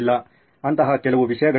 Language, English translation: Kannada, There are some things like that